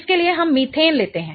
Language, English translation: Hindi, So, let us take methane